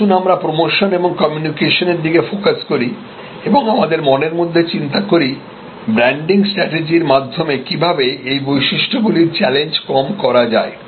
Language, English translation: Bengali, Let us focus on that, issue of promotion or communication and let is therefore, think in our minds, that how these characteristics this challenges are mitigated by branding strategies